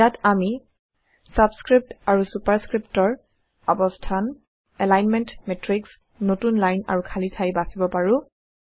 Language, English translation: Assamese, Here, we can choose placements of subscripts and superscripts, alignments, matrix, new lines and gaps